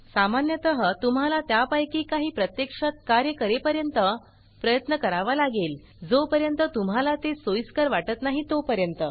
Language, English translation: Marathi, Typically, you may have to try a few of them until it actually works and until you become comfortable